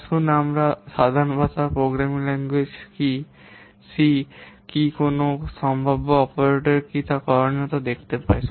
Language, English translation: Bengali, Let's see the common language, programming language language, what could be the, what possible operators